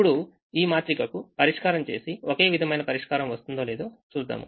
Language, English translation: Telugu, now i am going to say that the solution to this matrix and the solution to this matrix are the same